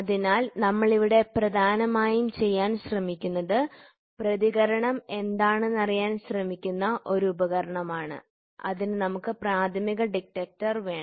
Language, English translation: Malayalam, So, what we are predominantly trying to do is here is one device which tries to find out what is the response, we are supposed to take primary detector